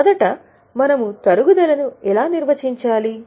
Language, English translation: Telugu, First of all, how do you define depreciation